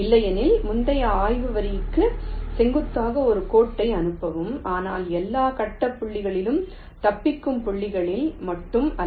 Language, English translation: Tamil, otherwise, pass a perpendicular line to the previous probe line, but not at all grid points, only at the escape points